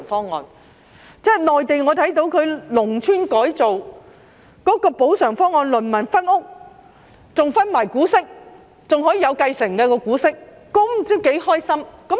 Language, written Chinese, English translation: Cantonese, 我看到內地農村改造的補償方案，農民可以分屋，更會分得股息，股息還可以繼承，他們不知多高興。, I can see that under the compensation package for rural transformation in the Mainland farmers may be compensated with houses and they may also be offered dividends which can be inherited . It makes them so happy